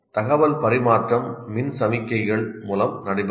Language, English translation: Tamil, So the transmission of information is through electrical signals